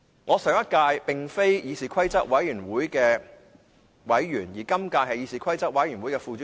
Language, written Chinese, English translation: Cantonese, 我上屆並非議事規則委員會的委員，而今屆則是副主席。, I was not a member of that Committee in the last session but I am the Deputy Chairman of this Committee in this session